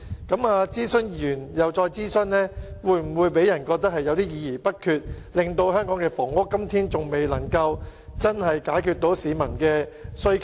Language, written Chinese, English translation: Cantonese, 政府諮詢完後又再進行諮詢，會否予人議而不決之感，以致香港的房屋供應至今仍未能真正解決市民的需求？, The Government wants to conduct consultation over and over again . Will this make people think that it is indecisive so housing supply in Hong Kong has failed to meet peoples housing demand?